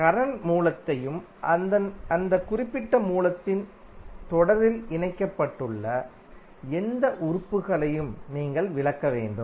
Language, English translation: Tamil, You have to exclude the current source and any element connected in series with that particular source